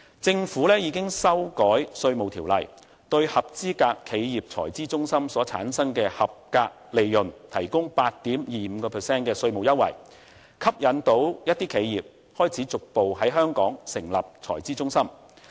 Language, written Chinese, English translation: Cantonese, 政府已修改《稅務條例》，對合資格企業財資中心所產生的合資格利潤提供 8.25% 的稅務優惠，成功吸引一些企業開始逐步在香港成立財資中心。, The Government has amended the Hong Kong Inland Revenue Ordinance which now provides for a concessionary rate of 8.25 % on qualifying profits of a qualifying corporate treasury centre CTC . The move has succeeded in gradually inducing certain enterprises to establish CTCs in Hong Kong